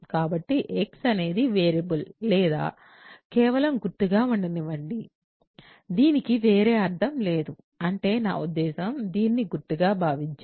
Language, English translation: Telugu, So, let x be a variable or just a symbol so, it has no other meaning that is what I mean, think of this just as a symbol ok